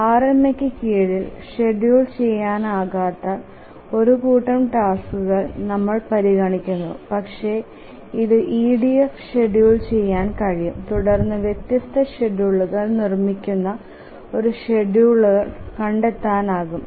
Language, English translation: Malayalam, So we will consider a task set on schedulable under RMA but schedulable in EDF and then of course we can find the two schedulers produce different schedules